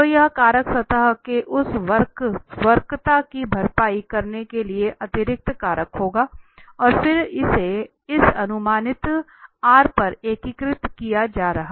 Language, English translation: Hindi, So, this factor will be the additional factor to compensate that curvature of the surface and then this is being integrated over this projected R